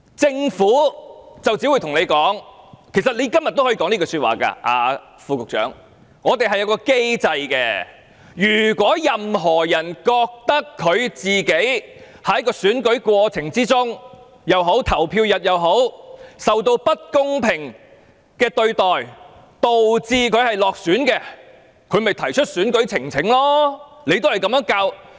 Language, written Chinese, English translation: Cantonese, 政府只會告訴我們——副局長你今天也可以這樣說——政府有一個機制，如果任何人覺得自己在選舉過程中或投票日當天，受到不公平對待導致落選，可以提出選舉呈請。, The Government will only tell us―the Under Secretary may also argue today―that it has put in place a mechanism whereby anyone who feels that his election defeat is ascribable to unfair treatment in the course of the election or on the polling day may lodge an election petition